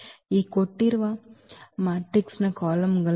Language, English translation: Kannada, These are the columns of this given matrix